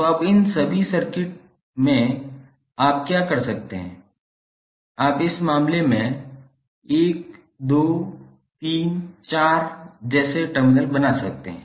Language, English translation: Hindi, So now, in all these circuits, what you can do, you can create the terminals like 1, 2, 3, 4 in this case